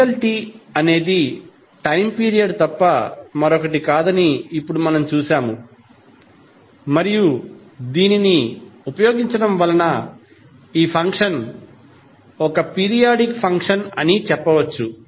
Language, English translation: Telugu, Now, as we have seen that capital T is nothing but time period and using this we can say that the function is periodic function